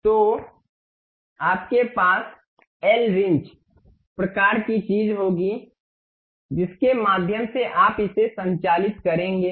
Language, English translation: Hindi, So, you will have l wrench kind of thing through which you will operate it